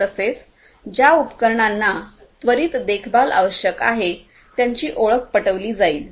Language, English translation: Marathi, Also the devices which would need immediate maintenance, they would be identified